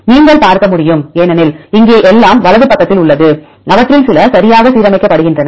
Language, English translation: Tamil, You can see because here everything is at the right side and some of them are align properly